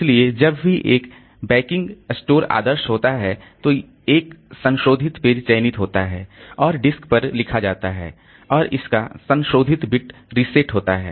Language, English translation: Hindi, So, whenever a backing store is idle, a modified page is selected and written to the disk and its modified bit is reset